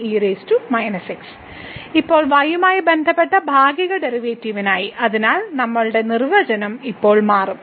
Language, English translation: Malayalam, Now, for the partial derivative with respect to , so our definition will change now